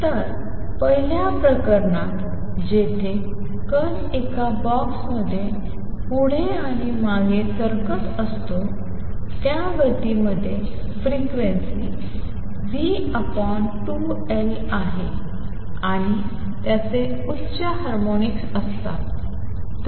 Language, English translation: Marathi, So, in the first case where the particle is doing a particle in a box moving back and forth, the motion contains frequency v over 2L and its higher harmonics